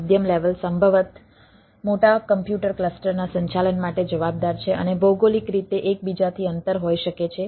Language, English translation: Gujarati, the middle level is responsible for management of the management of possibly large computer cluster and may be geographically distance from one another